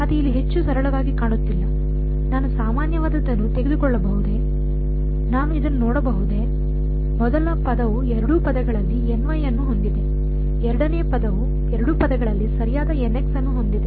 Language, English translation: Kannada, Again still does not look very very straightforward over here, can I take something common from, can I looking at this the first term has a n y in both the terms, the second term has a n x in both the terms right